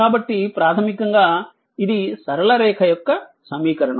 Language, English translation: Telugu, So, basically this is equation of straight line